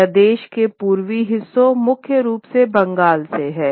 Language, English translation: Hindi, This is largely from the eastern parts of the country, primarily Bengal